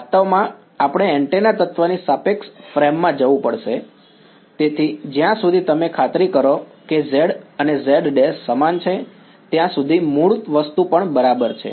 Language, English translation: Gujarati, Actually yeah, we have to move to the relative frame of the antenna element, so, even the original thing is fine as long as you are sure that z and z prime are in the same